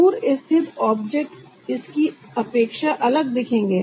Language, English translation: Hindi, far away object will look different than this